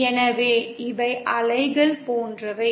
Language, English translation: Tamil, So these are like waves